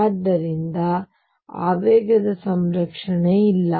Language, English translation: Kannada, So, there is no conservation of momentum